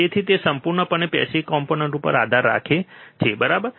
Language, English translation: Gujarati, So, it completely relies on the passive components, alright